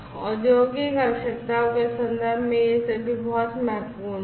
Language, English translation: Hindi, So, these are all very important in terms of industrial catering to the industrial requirements